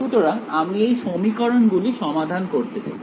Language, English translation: Bengali, So, I need to solve these equations